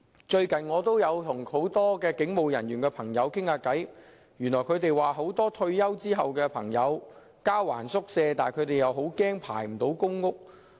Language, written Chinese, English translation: Cantonese, 最近，我曾與很多警務人員聊天，他們告訴我，很多退休警務人員都害怕在交還宿舍時，仍未獲編配公屋。, I have recently talked to many police officers . They told me that many police officers are worried that they still cannot be allocated a public rental housing unit when they turn in their quarters upon retirement